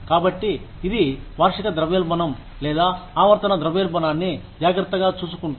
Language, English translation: Telugu, So that is what, takes care of the annual inflation, or periodic inflation, in